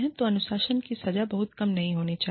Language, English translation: Hindi, So, the punishment, the discipline, should not be too less